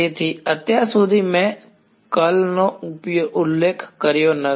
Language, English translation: Gujarati, So, far I have specified the curl